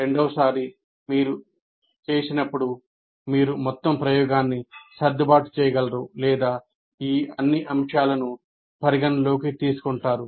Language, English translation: Telugu, And then second time you do, you will be able to adjust many, your entire experiment or your initiative taking all these factors into consideration